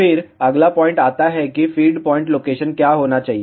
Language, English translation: Hindi, Then, comes the next point what should be the feed point location